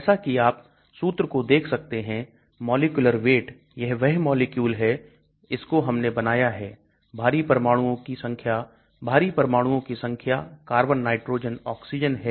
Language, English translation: Hindi, As you can see formula, molecular weight, this is the molecule which we have drawn, number of heavy atoms, number of heavy atoms that is carbon, nitrogen, oxygen like that